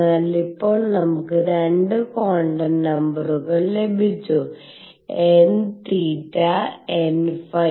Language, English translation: Malayalam, So, this is now we have got 2 quantum numbers, n theta and n phi